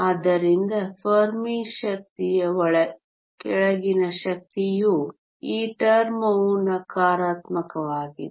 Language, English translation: Kannada, So, energy below the Fermi energy this term is negative